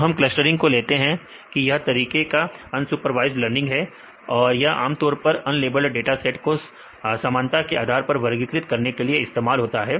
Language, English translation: Hindi, So, we take clustering, this is one of the unsupervised learning this is the very often used for unlabeled dataset to group the observation based on similarity